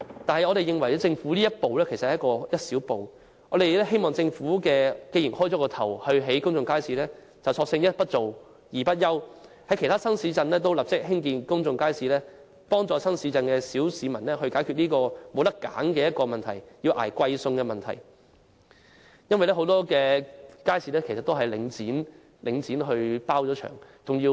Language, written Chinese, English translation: Cantonese, 但是，我們認為政府這一步只是一小步，既然已開始興建公眾街市，便應索性一不做、二不休，立即在其他新市鎮興建公眾街市，幫助新市鎮的小市民解決他們沒有選擇而要捱貴餸的問題，因為很多街市其實由領展承包或外判。, Nevertheless we consider this step taken by the Government just a small step . Given that public markets will be constructed it should also construct public markets in other new towns immediately to help the grass roots in new towns resolve their problems of putting up with expensive food as many markets are contracted out by Link